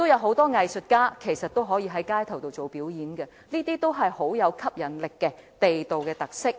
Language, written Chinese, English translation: Cantonese, 很多藝術家都可以進行街頭表演，這些都是極具吸引力的地道特色。, Many artists can perform in the streets and their performances are very attractive local characteristics